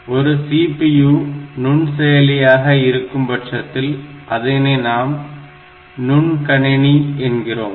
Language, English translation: Tamil, So, this when we talk, this CPU when the CPU is a microprocessor then we will call it a microcomputer